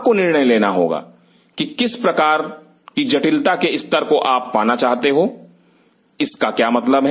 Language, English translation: Hindi, You have to decide what level of sophistication you wish to achieve, what does that mean